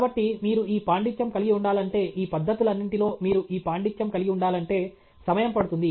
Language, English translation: Telugu, So, if you need to have this mastery, if you need to have this mastery of all these techniques it takes time okay